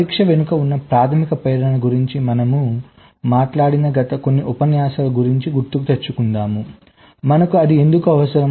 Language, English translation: Telugu, so we recall, during the last few lectures we actually talked about the basic motivation behind testing: why do we need it